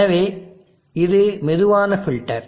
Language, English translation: Tamil, So this is the slow filter